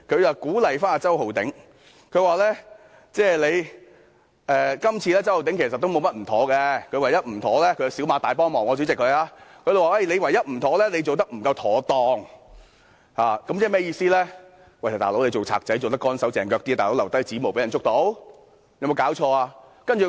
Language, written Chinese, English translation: Cantonese, 她鼓勵周浩鼎議員，說今次周浩鼎議員沒有甚麼不妥——主席，她是小罵大幫忙——她說唯一的不妥是他做得不夠妥當，意思是當小偷應"乾手淨腳"些，不應留下指模被人發現。, She encouraged Mr Holden CHOW saying that he had done nothing particularly wrong this time around―President she criticized him lightly for the sake of doing him a great favour―she said that the only mistake that he made was that he did not act properly implying that he should have been a more adroit thief leaving behind no fingerprints to be detected by others